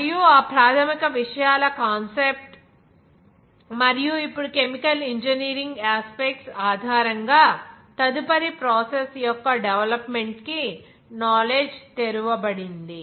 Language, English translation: Telugu, And also the concept of those basic things and later on and also now the knowledge has been opened up for the development of the further process based on the chemical engineering aspects